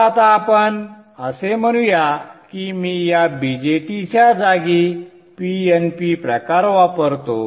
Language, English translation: Marathi, So now let us say that I replace this BJT with a PNP type